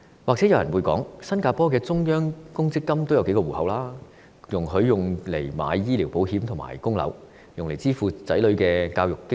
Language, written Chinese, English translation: Cantonese, 也許有人會提出，新加坡的中央公積金也分成數個戶口，容許市民用作購買醫療保險和供樓，甚至用以支付子女的教育經費。, Someone may point out that several accounts are included under the Central Provident Fund of Singapore to allow people to take out medical insurance service their mortgages and even pay the education fees of their children . However Singapores Central Provident Fund and Hong Kongs MPF are two entirely different matters